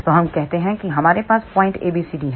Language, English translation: Hindi, So, let us say we have point A, B, C, D